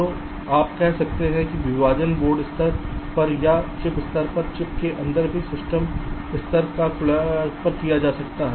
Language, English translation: Hindi, so you can say the partitioning can be done at the system level, at the board level, or even inside the chip, at the chip level